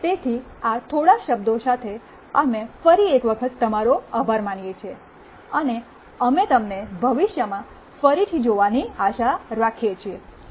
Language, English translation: Gujarati, So, with these few words, we thank you once again, and we hope to see you again in the future